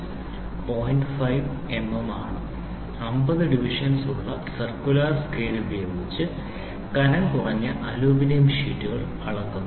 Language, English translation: Malayalam, 5 millimeter and a circular scale with 50 divisions is used to measure the thickness of a thin sheet of Aluminium